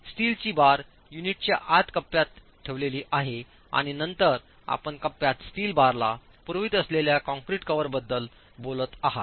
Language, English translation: Marathi, The steel reinforcement is placed in the pocket inside the unit and then you are talking of the cover that the concrete in the pocket is providing to the steel